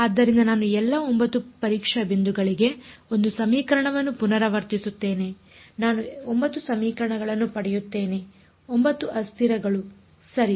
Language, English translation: Kannada, So, I get 1 equation repeated for all 9 testing points I get 9 equations 9 variables ok